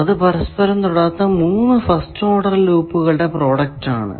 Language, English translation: Malayalam, So, product of three non touching first order loops